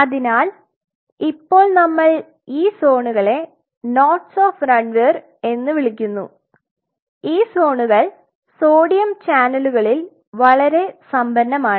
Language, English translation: Malayalam, So, now this zone which we call as nodes of Ranvier this particular spot is very rich in sodium channels right